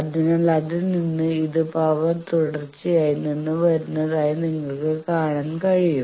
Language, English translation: Malayalam, So, from that you can see this comes from the power continuity